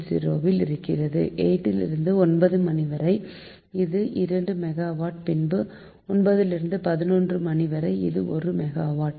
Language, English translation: Tamil, then eight pm to nine, one hour, it is two megawatt, it is two megawatt, and nine pm to eleven am one megawatt